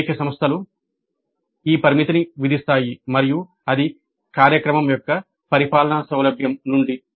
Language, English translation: Telugu, Many institutes impose this restriction and that is from the convenience of administration of the program